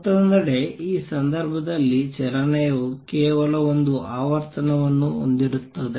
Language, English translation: Kannada, On the other hand in this case the motion contains only one frequency